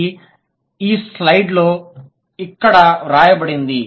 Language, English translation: Telugu, It's written here in this slide